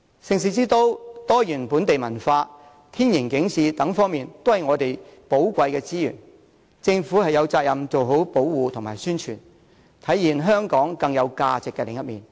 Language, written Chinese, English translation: Cantonese, 盛事之都、多元本地文化、天然景致，這些都是我們的寶貴資源，政府有責任做好保護和宣傳，體現香港更有價值的另一面。, The citys position as an events capital the diversification of local culture and the natural environmental features are all valuable resources of Hong Kong . It is the responsibility of the Government to protect and publicize these resources in order to show to the world a more precious side of Hong Kong